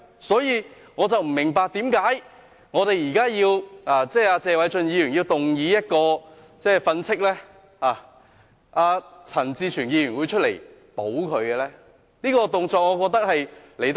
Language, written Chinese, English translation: Cantonese, 所以，我不明白為何謝偉俊議員動議譴責鄭松泰議員的議案，陳志全議員會出來"保"他呢？, So I do not understand why when Mr Paul TSE moved a censure motion against Dr CHENG Chung - tai Mr CHAN Chi - chuen would come forth to protect Dr CHENG Chung - tai?